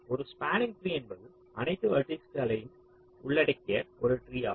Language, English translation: Tamil, a spanning tree is a tree that covers all the vertices